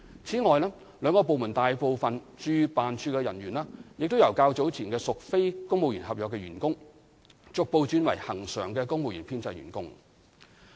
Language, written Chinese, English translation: Cantonese, 此外，兩個部門大部分駐聯辦處的人員，亦由較早前屬非公務員合約員工，逐步轉為恆常的公務員編制員工。, In addition most of the posts of the two departments at JO has turned from non - civil service contract posts at the beginning into permanent civil service ones gradually